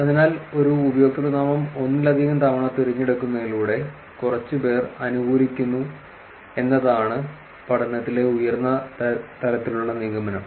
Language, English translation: Malayalam, So the high level conclusion from the study is that few favor a username by repeatedly choosing it multiple times